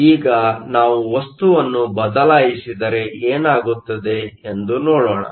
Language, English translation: Kannada, Now, let us just look at what happens if we change the material